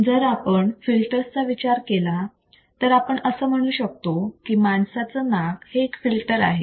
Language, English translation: Marathi, So, if you think about a filter for example, human nose is the filter